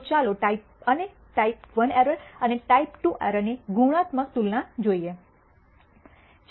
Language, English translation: Gujarati, So, let us look at the qualitative comparison of the type and type I error and type II error